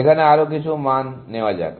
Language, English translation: Bengali, Let us put in some more values